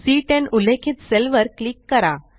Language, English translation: Marathi, Click on the cell referenced as C10